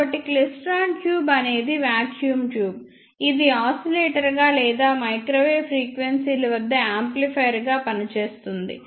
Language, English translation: Telugu, So, klystron tube is a vacuum tube that can be operated either as an oscillator or as an amplifier at microwave frequencies